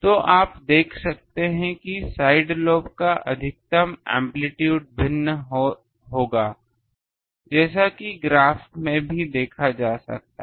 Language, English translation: Hindi, So, now is not it so from these you can see that the amplitude of the side lobe maximum will vary as also can be seen in the graph